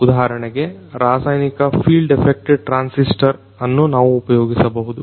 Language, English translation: Kannada, For example, So, we could have the chemical field effect transistors